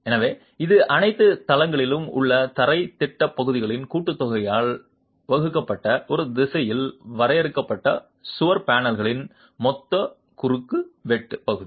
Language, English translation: Tamil, So, it's the total cross sectional area of the confined wall panels in one direction divided by the sum of the floor plan areas in all the floors